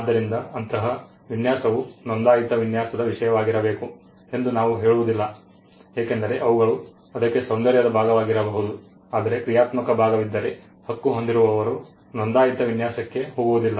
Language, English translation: Kannada, So, we do not say such design should be the subject matter of a registered design because, they could be an aesthetic part to it, but if there is a functional part right holder will not go for a registered design